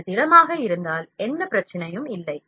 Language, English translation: Tamil, If it is solid, there is no issue at all